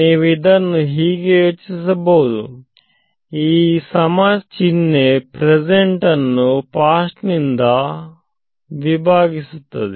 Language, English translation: Kannada, So, you can think of this as this equal to sign is sort of dividing the present from the past